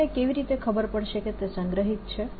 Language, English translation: Gujarati, how do i know it is stored